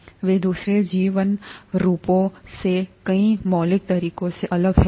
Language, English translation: Hindi, They are different in many fundamental ways from the other life forms